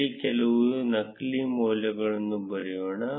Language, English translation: Kannada, Let us write some dummy values here